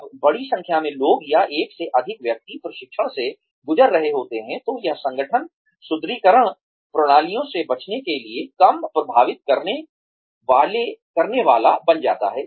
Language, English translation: Hindi, When large number of people, or more than one person, is involved, in undergoing training, then it becomes ; the organizations are less prone to avoiding reinforcement systems